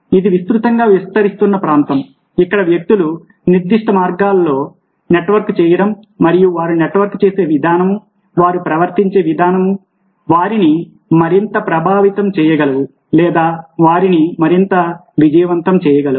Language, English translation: Telugu, this is a wide, expanding area where you see that people network in specific ways and the way they network, the way they behave, can make them more influential or can make them more successful